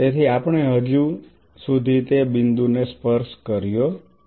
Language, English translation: Gujarati, So, we have not touched that point yet